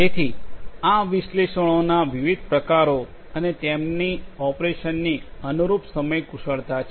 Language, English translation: Gujarati, So, these are the different types of analytics and their corresponding time skills of operation